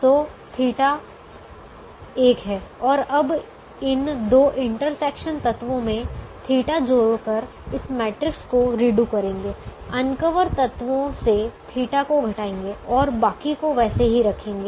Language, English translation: Hindi, and now redo this matrix by adding theta to the intersection elements, these two, subtracting theta from the uncovered elements and keeping the rest of them as it is